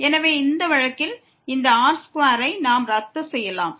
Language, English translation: Tamil, So, in this case this square we can cancel out